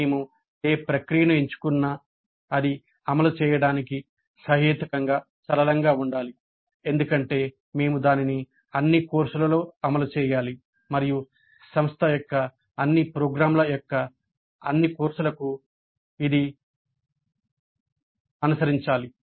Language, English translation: Telugu, Whatever process we select that must be reasonably simple to implement because we need to implement it across all the courses and it must be followed for all the courses of all programs of an institution